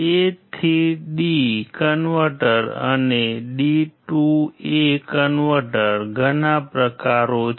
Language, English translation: Gujarati, There are several types of a to d converters and d to a converters